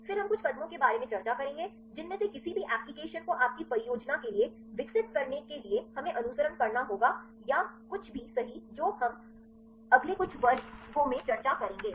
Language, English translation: Hindi, Then we will discuss about some of the steps we have to follow to develop any of these applications right for your projects or anything right that we will discuss in the next few classes